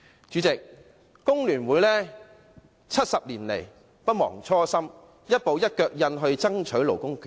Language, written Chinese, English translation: Cantonese, 主席，工聯會70年來不忘初心，一步一腳印爭取勞工權益。, President over the past 70 years FTU has never forgotten its mission of steadily striving for labour rights and interests